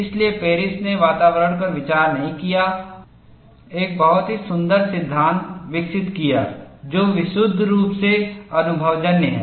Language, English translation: Hindi, So, Paris did not consider the environment and developed a very elegant law, which is purely empirical